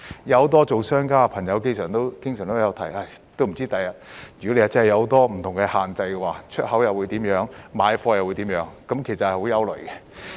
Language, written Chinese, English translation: Cantonese, 很多商家朋友經常表示，如果將來真的有很多不同的限制，不知道出口或買貨會怎樣，令人感到很憂慮。, Many members of the business community often say that it is worrying if many different restrictions are to be put in place in the future as they do not know what will happen to export or purchase of goods